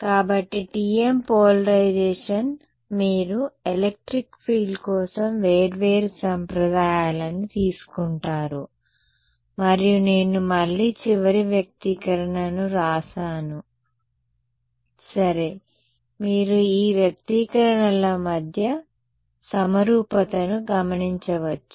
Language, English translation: Telugu, So, TM polarization, you would take the different conventions for electric field and I will again I will just write down the final expression ok, you will notice a symmetry between these expressions